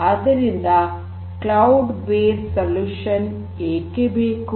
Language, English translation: Kannada, So, why do we need cloud based solutions